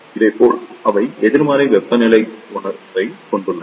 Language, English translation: Tamil, Similarly, they have the negative temperature coefficient